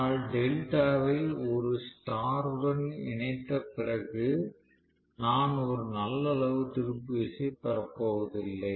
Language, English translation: Tamil, But if I try looking at it after connecting delta a star I am not going to get a good amount of torque